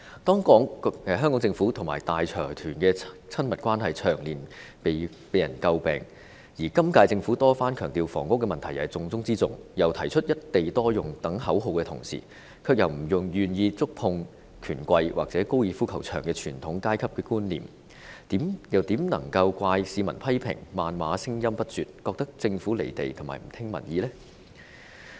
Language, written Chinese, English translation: Cantonese, 香港政府和大財團的親密關係長年被人詬病，而今屆政府多番強調房屋問題是重中之重，又提出"一地多用"等口號之餘，卻又不願觸碰權貴或高爾夫球場這傳統上層階級標誌，又怎能怪市民批評、謾罵聲音不絕，覺得政府"離地"和不聽民意呢？, The close ties between the Hong Kong Government and major consortiums have over the years given cause for criticisms and while the current term Government has repeatedly stressed that the housing issue is most important of all and put forward such slogans as single site multiple uses it is however unwilling to touch the rich and powerful or the golf course which is traditionally an upper - class icon . As such how can the public be blamed for unceasingly hurling criticisms and abuses at the Government saying that the Government is detached from reality and turning a deaf ear to public opinions?